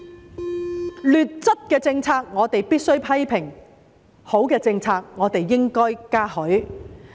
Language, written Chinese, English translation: Cantonese, 對於劣質的政策，我們必須批評；對於好的政策，我們應該嘉許。, If a policy is faulty we must criticize it; but if a policy is good we should commend it